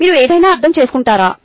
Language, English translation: Telugu, would you understand anything